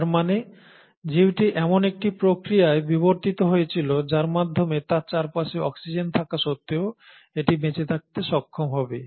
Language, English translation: Bengali, That means the organism should have evolved a process by which despite having oxygen around it should be able to survive